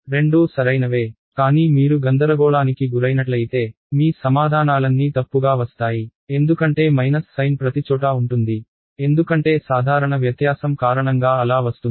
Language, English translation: Telugu, Both are correct, but if you get confused you will all your answers will be wrong by minus sign everywhere ok, because of the simple difference ok